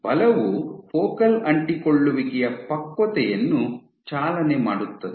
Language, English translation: Kannada, Force drives maturation of focal adhesions